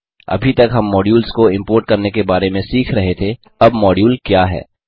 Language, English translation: Hindi, Until now we have been learning about importing modules, now what is a module